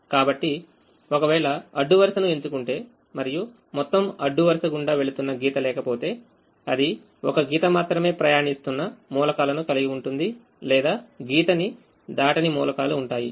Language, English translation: Telugu, so if the row is ticked and does not have a line passing through the entire row, then it will either have elements where only one line is passing or elements where no line is passing